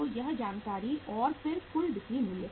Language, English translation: Hindi, So this information and then the total selling price